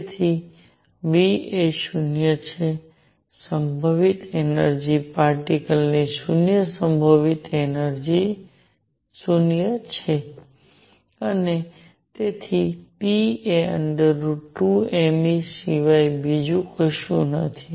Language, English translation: Gujarati, So, v is 0, the potential energy is zero potential energy of the particle is 0; and therefore, p is nothing but square root of 2 m E